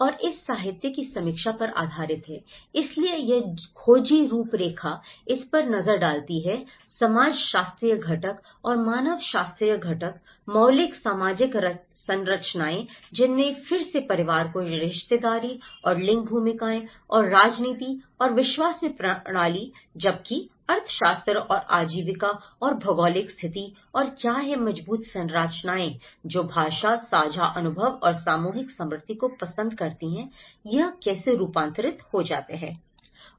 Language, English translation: Hindi, And based on that literature review, so this investigative framework looks at this the sociological component and the anthropological component of it, the fundamental social structures which have again the family kinship and the gender roles and politics and belief system whereas, the economics and livelihood and geographical conditions and what are the reinforcing structures which like language, shared experiences and the collective memory how it gets transformed